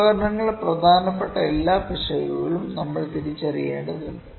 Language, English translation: Malayalam, We need to identify all the potential significant errors for the instruments